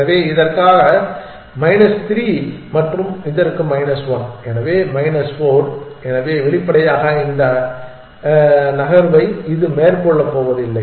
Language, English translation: Tamil, So, minus 3 for this and minus 1 for this, so minus 4, so obviously, it is not going to make this move